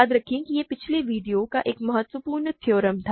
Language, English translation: Hindi, Remember that was a crucial theorem from the last video